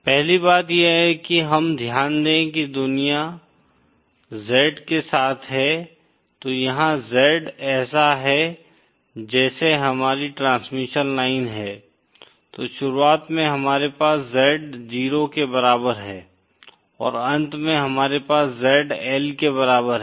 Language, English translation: Hindi, The 1st thing we note is that the world is along theÉso Z, here Z is like this is our transmission line, then at the beginning we have Z equal to 0 and at the end we have Z equal to L